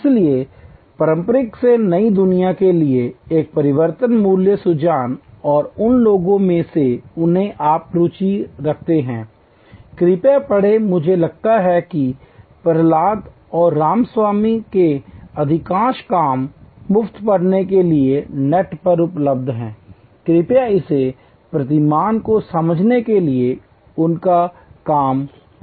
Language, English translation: Hindi, So, this transition from the traditional to the new world of value co creation and those of who you are interested, please do read up I think most of the work from Prahalad and Ramaswamy are available on the net for free reading, please do read their work to understand this paradigm shift